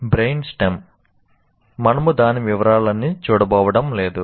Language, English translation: Telugu, Now come the brain stem, we are not going to look into all the details